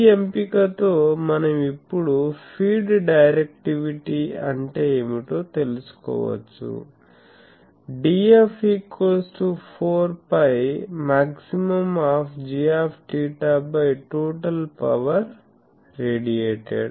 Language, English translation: Telugu, So, with this choice we can now find out what is the feed directivity, D f will be 4 pi then maximum of g theta by total power radiated